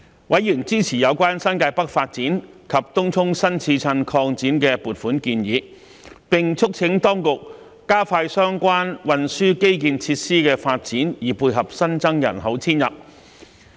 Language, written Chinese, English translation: Cantonese, 委員支持有關新界北發展及東涌新市鎮擴展的撥款建議，並促請當局加快相關運輸基建設施的發展以配合新增人口遷入。, Members supported the funding proposals relating to the development of the New Territories North and the Tung Chung New Town Extension and urged the Administration to expedite the development of related transport infrastructure to dovetail with the new population intake